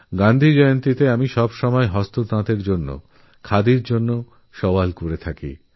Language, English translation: Bengali, On Gandhi Jayanti I have always advocated the use of handloom and Khadi